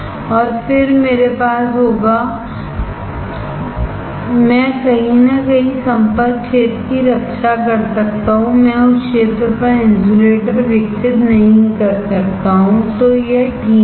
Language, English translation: Hindi, And then I will have, I can protect the contact area somewhere I cannot grow insulator on that area so that is fine